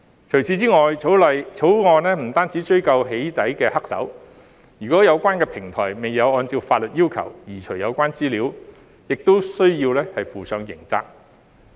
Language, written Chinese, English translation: Cantonese, 除此以外，《條例草案》不只追究"起底"黑手；如果有關的平台未有按照法律要求移除有關資料，亦需要負上刑責。, Moreover the Bill does not stop at bringing doxxing perpetrators to account . The platforms concerned will also be held criminally liable if it fails to remove the relevant data as required by law